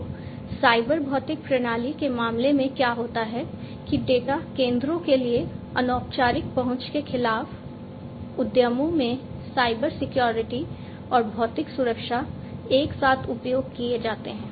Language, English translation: Hindi, So, what happens is that in the case of a cyber physical system enterprises use Cybersecurity and physical security simultaneously against unofficial access to data centers